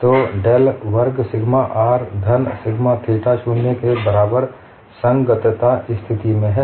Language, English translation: Hindi, So del square sigma r, plus sigma theta, equal to 0, is the compatibility condition